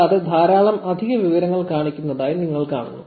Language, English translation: Malayalam, And you see that there is a whole lot of extra information that shows up